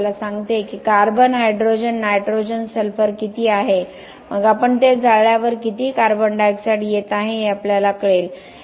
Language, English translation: Marathi, It tells us how much carbon, hydrogen, nitrogen, sulphur is so then we would know when we burn it how much carbon dioxide is coming